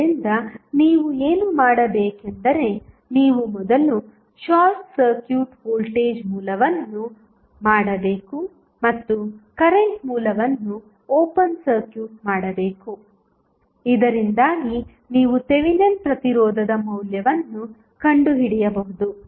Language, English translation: Kannada, So, for that what you have to do, you have to first short circuit the voltage source and open circuit the current source so, that you can find out the value of Thevenin resistance